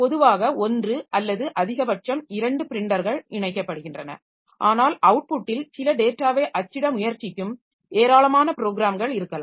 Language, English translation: Tamil, So, normally we have got one or at most two printers connected, but there may be large number of programs that are trying to print some data onto the output